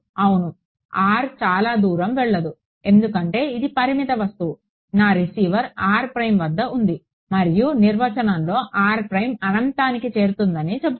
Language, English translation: Telugu, Yeah r does not go far because the finite object, r prime is where my receiver is and the definition says take r prime to infinity